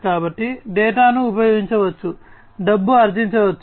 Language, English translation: Telugu, So, data can be used, it can be monetized data can be monetized